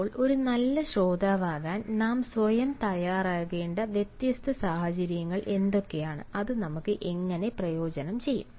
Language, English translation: Malayalam, now, what are the different situations for which we should prepare ourselves either to be a good listener, and how that are going to benefit us